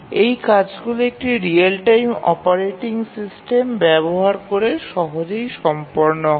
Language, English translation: Bengali, So, these are easily done using a real time operating system